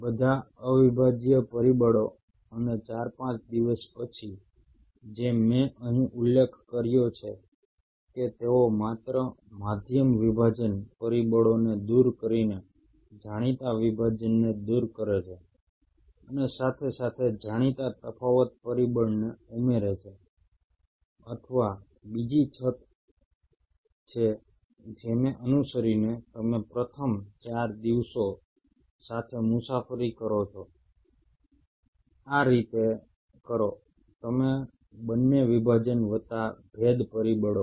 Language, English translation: Gujarati, And after four, five days, as I mentioned here, they remove those known dividing by just removing the medium dividing factors and simultaneously add known differentiation factor or there is another route which has been followed that you start the journey with first four days do it like this